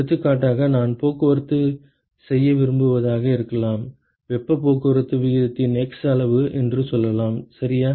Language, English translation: Tamil, For example, it might be that I want to transport let us say x amount of heat transport rate ok